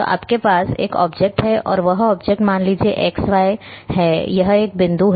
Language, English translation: Hindi, So, you are having an object and that object is suppose this is x, y, this is one point